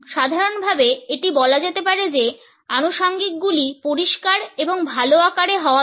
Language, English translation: Bengali, In general it can be said that accessories need to be clean and in good shape